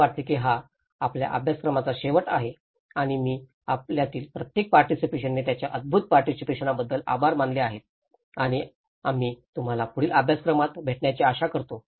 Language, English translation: Marathi, I think thatís end of our course and I thank each and every participant for their wonderful participation and we hope to see you in further courses